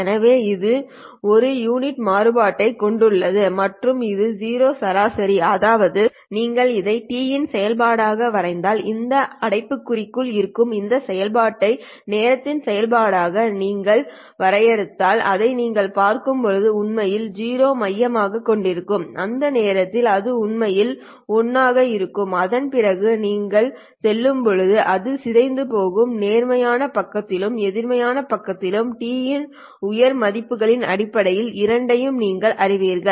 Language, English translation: Tamil, So it has one unit of variance and it is zero mean which means that if you were to sketch this function as a function of t so if you sketch this function that is in this bracket as a function of time you would see that it is actually centered at zero at which point it will actually be one and thereafter it would go decaying as you go you know for both in terms of higher values of t in positive side as well as in the negative side